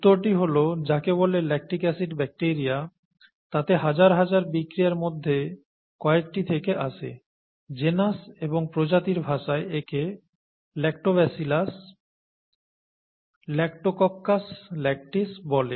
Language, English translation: Bengali, The answer is, from some among the thousands of reactions that occur inside what is called the lactic acid bacteria, in the terms of genus and species, it’s called Lactobacillus, Lactococcus Lactis